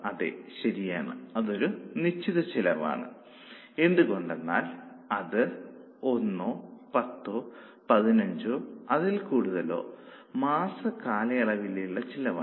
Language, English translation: Malayalam, I think you are right, it becomes a fixed cost because it becomes a cost for a period for one month or for 10 weeks or for 15 weeks or so on